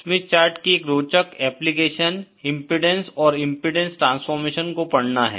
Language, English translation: Hindi, One interesting application of the Smith chart is to read impedances and impedance transformation